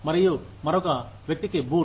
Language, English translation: Telugu, And, the boot to another person